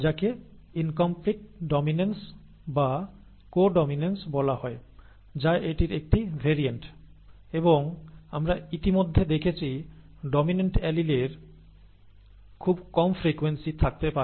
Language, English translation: Bengali, That is called incomplete dominance or co dominance is a variant of that and there could be very low frequency of the dominant allele that we have already seen